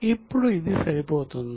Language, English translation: Telugu, Now is it matching